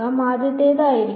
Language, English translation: Malayalam, So, the first will be a 1